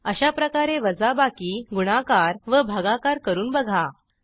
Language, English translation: Marathi, Similarly, try subtraction, multiplication and division